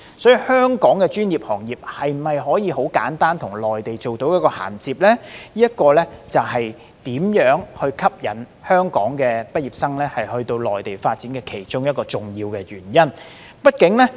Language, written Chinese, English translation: Cantonese, 因此，香港的專業行業能否簡單地與內地銜接，會是能否吸引香港畢業生到內地發展的一項重要元素。, Therefore whether it is easy for professional sectors in Hong Kong to interface with those in the Mainland is an important consideration for Hong Kong university graduates when deciding whether to develop their career in the Mainland or not